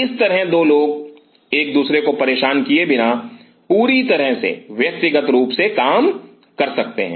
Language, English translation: Hindi, That way 2 people can work absolutely individually without disturbing each other